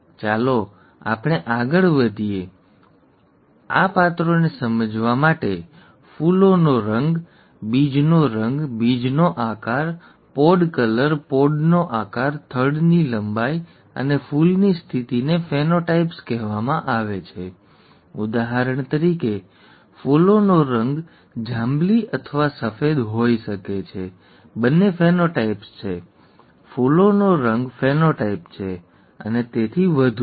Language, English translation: Gujarati, Let us go further to see, to explain this and these characters, flower colour, seed colour, seed shape, pod colour, pod shape, stem length and flower positions are called ‘phenotypes’; for example, the flower colour could be either purple or white; both are phenotypes, flower colour is a phenotype and so on